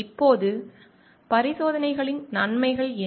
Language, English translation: Tamil, Now, what are the benefits of experimentation